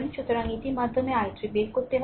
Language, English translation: Bengali, So, it is through this you have to find out i 3